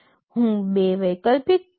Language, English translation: Gujarati, I am showing two alternate codes